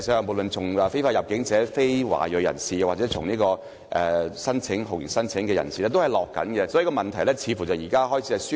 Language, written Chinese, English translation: Cantonese, 無論是非法入境者、非華裔人士或酷刑聲請者，數字均呈下降趨勢，問題似乎輕微得到紓緩。, As a general downward trend is noted in the number of illegal entrants non - ethnic Chinese and torture claimants it seems that the situation has been slightly relieved